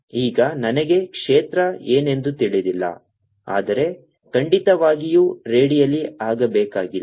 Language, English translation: Kannada, now i don't know what the field is, but certainly need not be radial